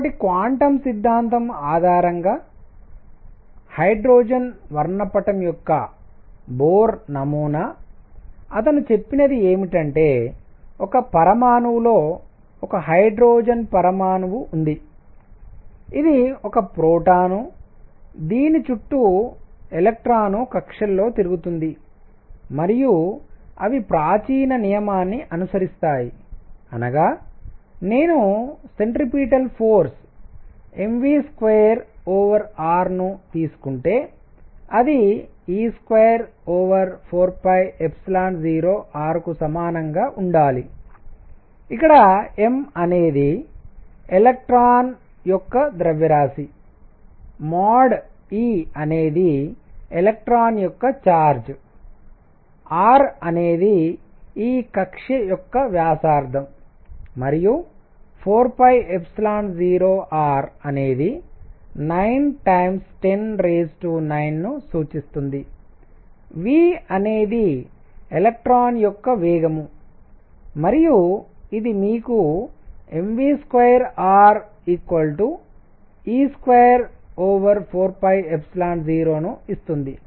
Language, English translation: Telugu, So, Bohr model of hydrogen spectrum based on quantum theory; what he said is that in an atom, there is a hydrogen atom, this is a proton around which an electron is going around in orbits and they follow classical law; that means, if I were to take the centripetal force m v square over r, it should be equal to 1 over 4 pi epsilon 0 e square over r where m is the mass of electron e; mod e is charge of electron, r is the radius of this orbit and 4 pi epsilon 0 represents that constant 9 times 10 raise to 9, v, the speed of electron and this gives you m v square r equals e square over 4 pi epsilon 0 that is equation 1